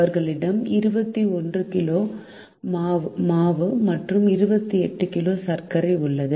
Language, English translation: Tamil, they have with them twenty one kg of flour and twenty eight kg of sugar